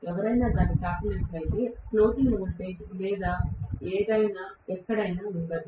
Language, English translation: Telugu, So, if somebody touches it, there will not be any floating voltage or anywhere, anything will be coming